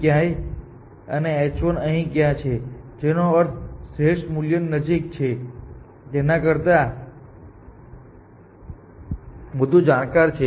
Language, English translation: Gujarati, What we are saying is that h 2 is somewhere here and h 1 is somewhere here this is what we mean by more informed closer to h the optimal value